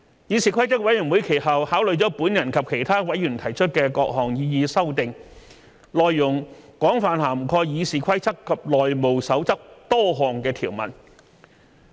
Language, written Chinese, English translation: Cantonese, 議事規則委員會其後考慮了我及其他委員提出的各項擬議修訂，內容廣泛涵蓋《議事規則》及《內務守則》多項條文。, CRoP then took into consideration the various amendments proposed by me and other Members which widely covered a large number of stipulations in RoP and the House Rules